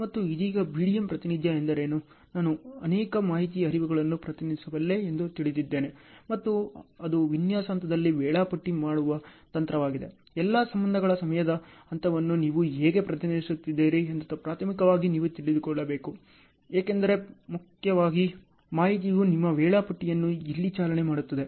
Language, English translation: Kannada, And what is a BDM representation right now, having known that I can represent multiple information flows and so on and it is a technique for scheduling in design phase; then primarily you should know how are you representing the time phase of all the relationships, because information is driving your schedules here